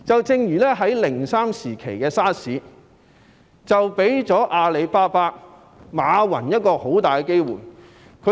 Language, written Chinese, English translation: Cantonese, 正如2003年 SARS 期間，阿里巴巴的馬雲便掌握了很好的機會。, For example during the SARS outbreak in 2003 Jack MA of Alibaba seized a great opportunity